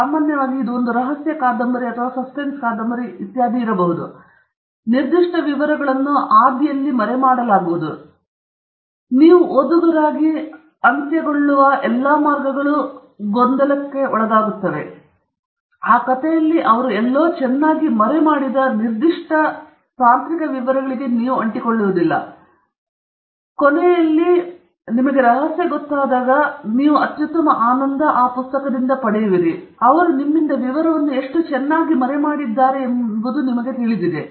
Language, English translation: Kannada, Often, if it’s a mystery novel or a suspense novel, etcetera, specific details will be hidden; specific details will be hidden so that all the way to the end as a reader you are confused, you are unable to latch on to that specific technical detail which they have hidden somewhere very nicely in that story, and at the end, the greatest pleasure that you get from the book is how well they have hidden the detail from you, and you know, you feel thrilled that, you know, it was right there in front you, and you never noticed it, and the author springs the surprise on you